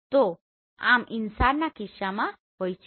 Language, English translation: Gujarati, So this is in case of InSAR